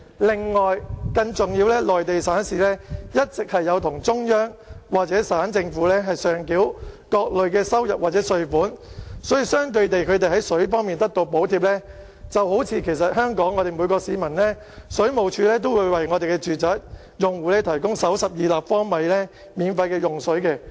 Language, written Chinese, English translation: Cantonese, 另外，更重要的是，內地省市一直有向中央或省政府上繳各類收入或稅款，所以，相對地，他們在水方面得到補貼，便正如香港水務署都會為本地住宅用戶提供首12立方米的免費用水量。, More importantly the Central Government and municipal governments have collected revenues and taxes from provinces and municipalities in the Mainland and in return they subsidize the water prices paid by these provinces and municipalities . It is similar to the situation that the first 12 cu m of water used by domestic households is supplied free of charge by the Water Supplies Department in Hong Kong